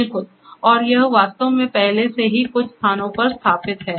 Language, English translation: Hindi, Absolutely and it is actually in place and like it is already in installed at few places